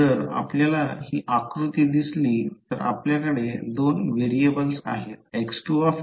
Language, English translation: Marathi, If we see this figure you have two variables one is x2s and another is x1s